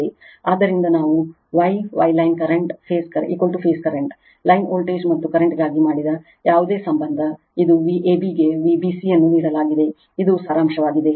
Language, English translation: Kannada, So, this is the relationship whatever we had made for star star line current is equal to phase current, line voltage and current, V a b is given V b c is given this is the summary sorry